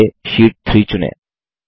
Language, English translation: Hindi, First lets select Sheet 3